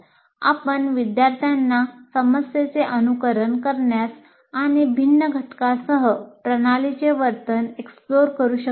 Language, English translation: Marathi, And also you can make students simulate a problem and explore the behavior of the system with different parameters